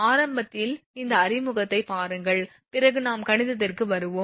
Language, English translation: Tamil, Just see this initially little bit little bit of introduction and then we will come to the mathematics